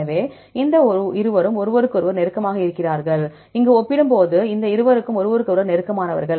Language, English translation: Tamil, So, here is more confident that these two are close to each other, compared with these two are close to each other